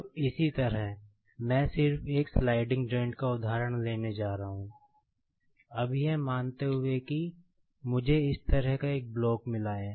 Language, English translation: Hindi, Now, similarly, I am just going to take the example of one sliding joint, now supposing that I have got a block like this